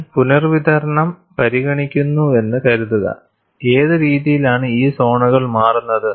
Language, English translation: Malayalam, Suppose, I consider the redistribution, what way these zones change